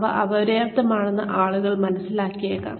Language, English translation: Malayalam, People may perceive, these to be inadequate